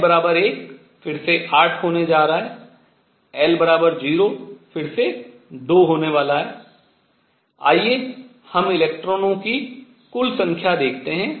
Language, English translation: Hindi, l equals 0 again is going to be 2, let us see the total number of electrons